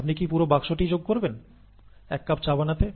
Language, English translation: Bengali, Do you add an entire box, to make one cup of tea